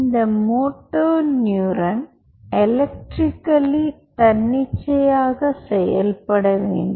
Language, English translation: Tamil, this moto neuron has to be spontaneously, spontaneously active, electrically